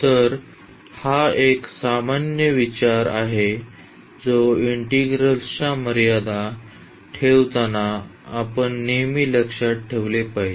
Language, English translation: Marathi, So, this is a general consideration which we should always keep in mind while putting the limits of the of the integral